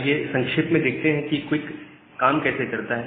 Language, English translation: Hindi, So, let us look briefly about how QUIC works